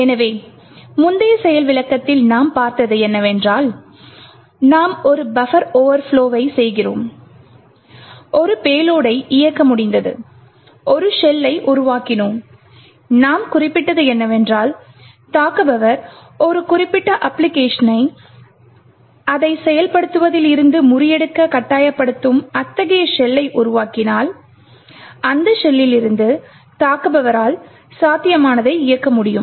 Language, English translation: Tamil, So in the previous demo what we have seen is that we overflowed a buffer and we were able to execute a payload and we actually created a shell and what we mentioned is that if an attacker creates such a shell forcing a particular application to be subverted from its execution, the attacker would be able to run whatever is possible from that shell